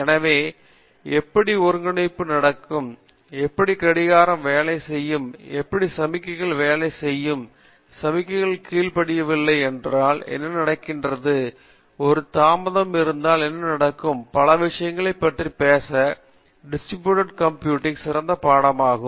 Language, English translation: Tamil, So, how coordination happens, how distributed coordination happens, how clocking, how signals work, what happens if the signal is not obeyed, what happens if there is a delay, what happens signals while so, many things talk about many, many coordination problems in the real Distributor Computer Science